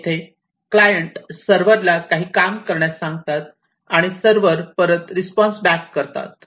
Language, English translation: Marathi, Here, also the clients ask the servers to do certain work and the servers respond back